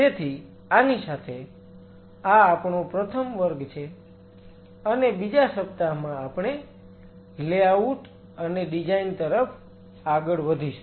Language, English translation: Gujarati, So, with this; this is our first class and the second week we will move on to the layout and designs